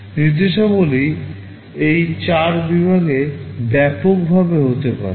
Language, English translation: Bengali, There can be broadly these 4 categories of instructions